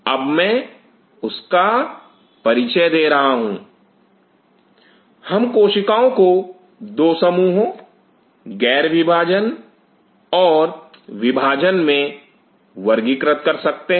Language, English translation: Hindi, Now I am introducing that we can classify the cells under 2 groups dividing cells and non dividing cells